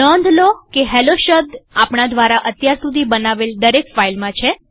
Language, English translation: Gujarati, Note the occurrence of hello in all the files that we have created so far